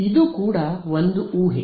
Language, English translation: Kannada, This is also an assumption